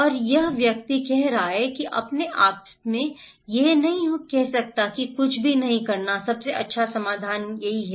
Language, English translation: Hindi, And the person is saying that I cannot say myself that doing nothing is not the best is not the best solution